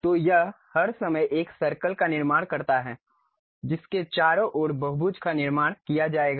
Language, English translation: Hindi, So, it is all the time construct a circle around which on the periphery the polygon will be constructed